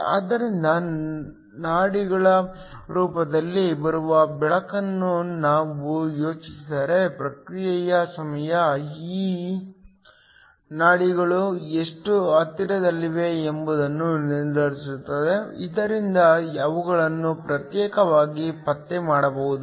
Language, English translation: Kannada, So, If we think of light arriving in the form of pulses the response time determines how close these pulses are so that they can be individually detected